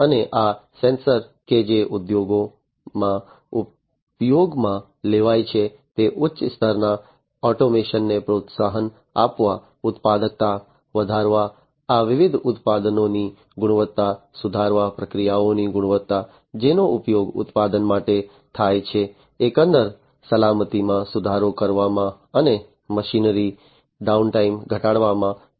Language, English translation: Gujarati, And these sensors that are used in the industry should help in promoting higher degree of automation, raising the productivity, improving the quality of these different products, quality of the processes, that are used for manufacturing, improving the overall safety and reducing the downtime of the machinery